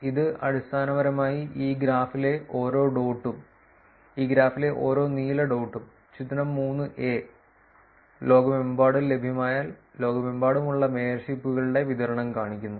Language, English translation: Malayalam, This is basically showing you every dot in this graph, every blue dot in this graph, figure 3 shows you the distribution of the mayorships that are available around the world, that were done around the world